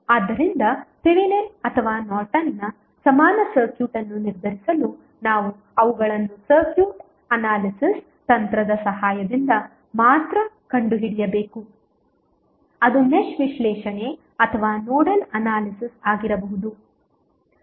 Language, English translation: Kannada, So, therefore to determine the Thevenin or Norton's equivalent circuit we need to only find them with the help of a circuit analysis technique that may be the Mesh analysis or a Nodal Analysis